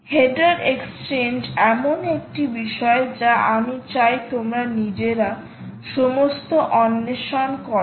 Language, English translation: Bengali, header exchange is something i want you to explore all by yourself